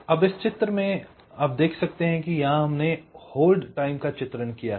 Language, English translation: Hindi, so you see, in this diagram we have illustrated the hold time